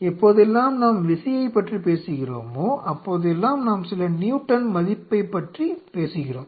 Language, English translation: Tamil, Now whenever we talk about force, we are talking about some Newton value right something